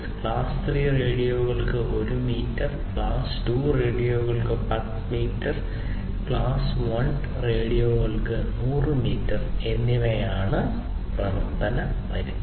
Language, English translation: Malayalam, And the operating range is 1 meter for class 3 radios, 10 meters for class 2 radios and 100 meters for class 1 radios